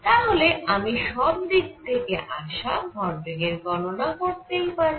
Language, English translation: Bengali, So, I can calculate the momentum coming from all sides